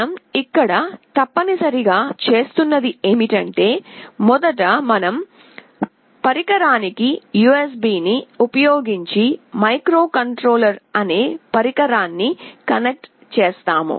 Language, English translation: Telugu, What we are essentially doing here is that we will connect first the device, the microcontroller, using the USB to our PC